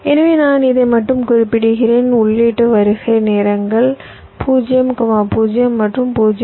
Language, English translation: Tamil, so i specify not only this, also i specify the input arrival times: zero, zero and point six